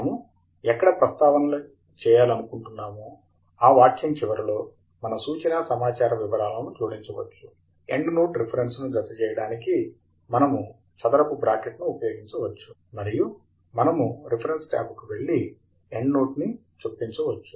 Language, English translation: Telugu, We can add the reference details at the end of the sentence where we want to make the citation; we can use square bracket to enclose the endnote reference, and we can go to the Reference tab and Insert, Endnote